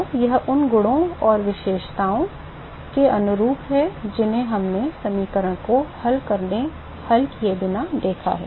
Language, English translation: Hindi, So, it is consistent with the properties and the characteristics that we observed without solving the equation